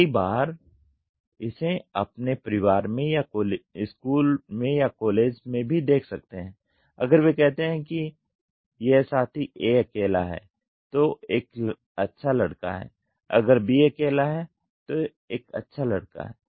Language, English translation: Hindi, Many a times you will see this in your family or in school or in even college they say if this fellow is if A is alone is A good boy, if B is alone is a good boy